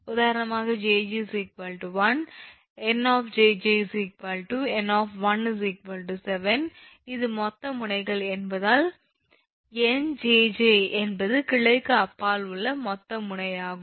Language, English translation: Tamil, for example, when jj is equal to one in jj is equal to n, one is equal to seven because this is the total nodes, the nnj is the total node beyond one jj